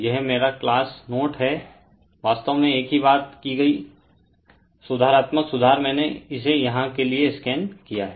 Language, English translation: Hindi, This is my class note, so all corrections made actually same thing I have scanned it here for you right